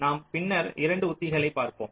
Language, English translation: Tamil, we shall be looking at a couple of strategies later now